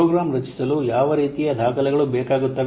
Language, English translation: Kannada, What kind of documents are required to create a program